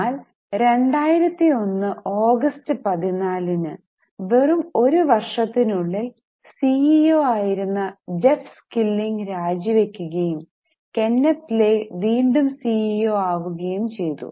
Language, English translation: Malayalam, On August 14, 2001, see within just one year, this Jeff's killing resigned as a CEO and Kenneth Lay again became the CEO